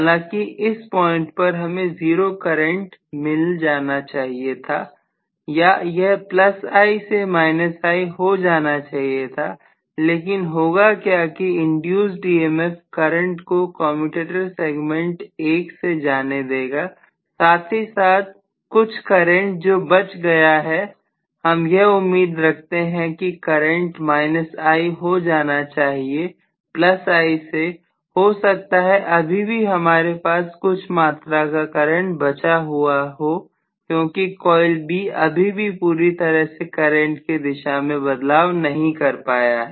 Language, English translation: Hindi, So although at this point I should have seen 0 current must have been reached or whatever or it should have completely transition to you know, minus I or plus I to minus I what will happen is the induced EMF is going to actually make the current go through, you know, the commutator segment 1 as well because there is some amount of leftover current, I expected that the entire current should have been gone to plus minus I from plus I, maybe I still will have some amount of leftover current because coil B is not allowed to change over the current direction completely